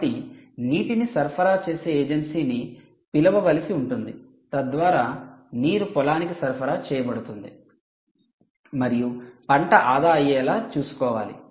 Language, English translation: Telugu, so you may have to call an agency which will have to supply water so that water is, you know, supplied to this field and ensure that the crop is saved